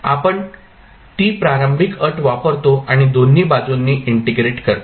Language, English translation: Marathi, We use that particular initial condition and take integration at both sides